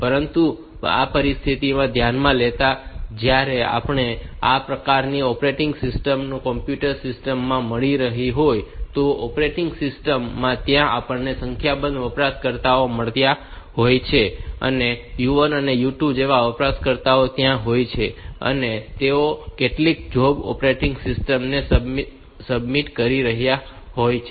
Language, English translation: Gujarati, have got where we have got some operating system and this operating system in any computer system, operating system is there and we have got a number of users, so, u 1, u 2 like that and they are submitting some jobs to the operating system